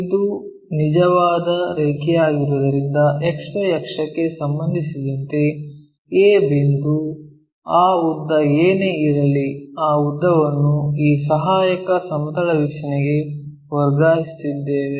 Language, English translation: Kannada, Because it is a true line, the point a with respect to X axis XY axis whatever that length we have that length we will transfer it to this auxiliary plane view